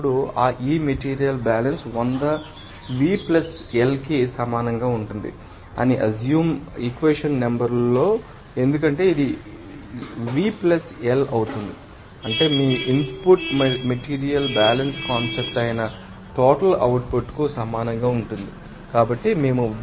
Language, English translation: Telugu, Now, in equation number 1 to assume that this material balance will be as 100 will be equal to V + L because it will be = V + L that means, your input will be equal to total output that is material balance concept